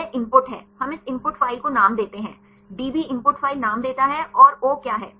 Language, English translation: Hindi, That is input; we give this input file name; the db gives the input file name and what is o